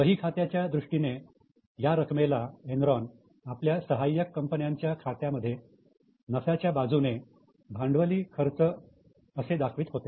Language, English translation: Marathi, In the books of Enron, they would report it as a profit, and in the books of subsidiaries, they will show it as a capital expenditure